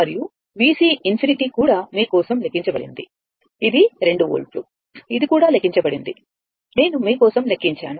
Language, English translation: Telugu, And V C infinity also calculated for you, it is 2 volt that also calculated, I calculated for you